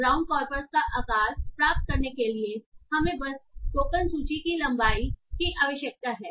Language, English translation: Hindi, To get the size of the brown corpus we just need the length of the token list